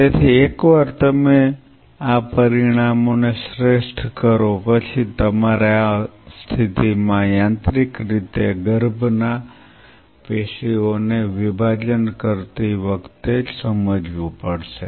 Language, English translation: Gujarati, So, once you optimize this these parameters then you have to realize while you are mechanically dissociating a fetal tissue out here in this situation